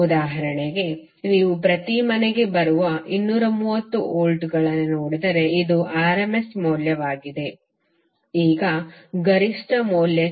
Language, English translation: Kannada, Say for example if you see to 230 volts which is coming to every household this is rms value now to the peak value